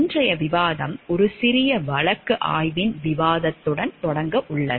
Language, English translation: Tamil, Today’s discussion we are going to begin with a discussion of a small case study